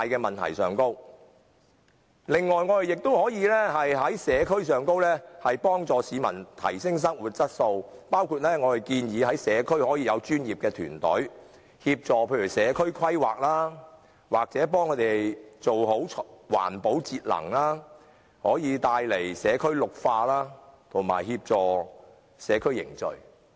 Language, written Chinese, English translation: Cantonese, 此外，政府也可以在社區層面幫助市民提升生活質素，包括我們所建議的在社區設立專業團隊，協助社區規劃或為他們做好環保節能，以綠化社區及協助社區凝聚。, Besides the Government can also assist the public at the community level in enhancing their quality of life and we would suggest setting up professional teams in the community facilitating community planning or implementing environmental protection and energy saving measures for community greening and for maintaining the bonds of people in local communities